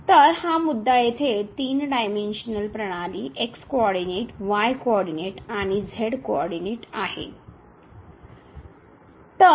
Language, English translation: Marathi, So, this is the point here in 3 dimensional system coordinate comma coordinate and the coordinate which is